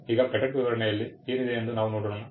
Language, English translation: Kannada, Now, let us see what else is contained in the patent specification